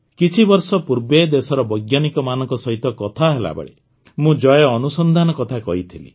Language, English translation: Odia, A few years ago, while talking to the scientists of the country, I talked about Jai Anusandhan